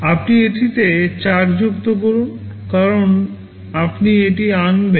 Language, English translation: Bengali, You add 4 to it because you will be fetching this